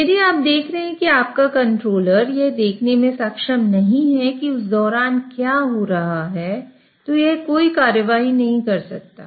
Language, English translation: Hindi, So if you are seeing that your controller is not able to see what's happening during that time, it cannot take any action